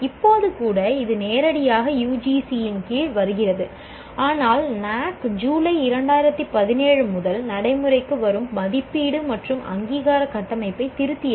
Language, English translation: Tamil, It comes directly under UGC, but NAC revised the assessment and accreditation framework effective from July 2017